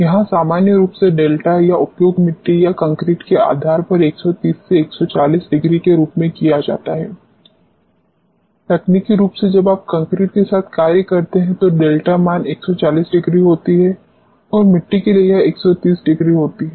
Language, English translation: Hindi, Here normally delta is used as 130 to 140 degree depending upon the soil or concrete technically when you deal with concrete the delta value is 140 degree and for soils it is 130 degree